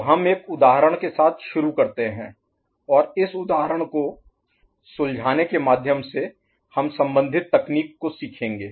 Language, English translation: Hindi, So we start with an example and through solving this example we shall learn the associated technique